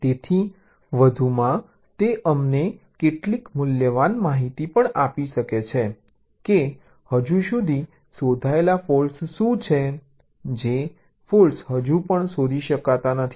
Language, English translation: Gujarati, so addition, it can also gives us some valuable information as to what are the yet undetected faults, the faults which are still not detected diagrammatically